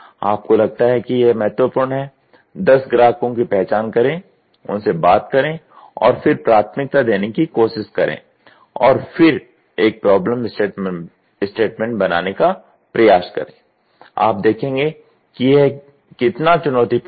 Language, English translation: Hindi, You feel it is important, identify ten customers, talk to them and then try to prioritise and then try to make a problem statement, you will see how challenging is it